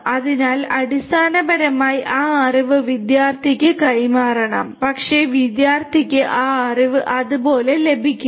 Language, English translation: Malayalam, So, basically that knowledge has to be transferred to the student, but the student you know will not get that knowledge just like that